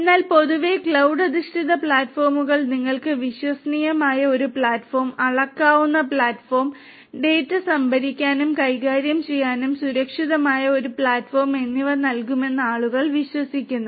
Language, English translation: Malayalam, But in general the you know people believe that cloud based platforms will give you, a reliable platform, a scalable platform and a secure platform for storage and handling of data and also the acquisition of the data with cloud can be made much more efficient